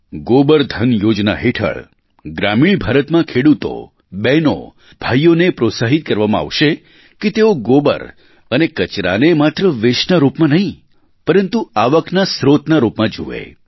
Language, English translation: Gujarati, Under the Gobardhan Scheme our farmer brothers & sisters in rural India will be encouraged to consider dung and other waste not just as a waste but as a source of income